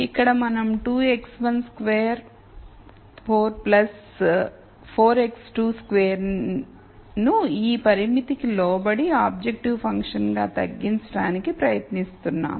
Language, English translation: Telugu, So, we are trying to minimize 2 x 1 square 4 plus 4 x 2 squared as objective function subject to this constraint